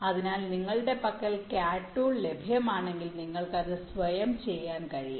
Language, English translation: Malayalam, so if you have the cat tool available with you you can do it yourself